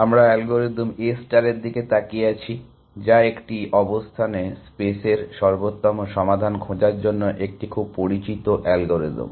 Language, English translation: Bengali, We have been looking at algorithm A star, which is a very well known algorithm for finding optimal solutions in a state space